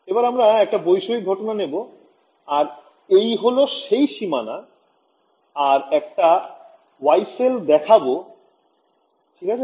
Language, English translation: Bengali, So, let us take a definite case again this is my boundary and I am showing you one Yee cell ok